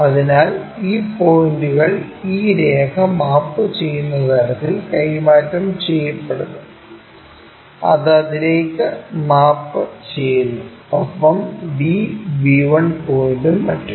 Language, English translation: Malayalam, So, these point these points transferred in such a way that this line maps to that, this one maps to that and whatever the b b 1 points and so on